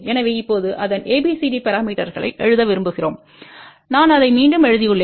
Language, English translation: Tamil, So, now we want to write ABCD parameters of this I have just written it again